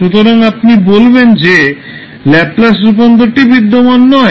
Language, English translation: Bengali, So, you will say that your Laplace transform will not exist